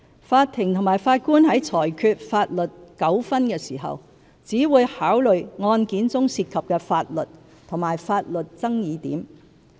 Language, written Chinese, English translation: Cantonese, 法庭和法官在裁決法律糾紛時，只會考慮案件中涉及的法律及法律爭議點。, Courts and Judges are concerned only with the law and the legal issues which arise in any disputes to be determined by them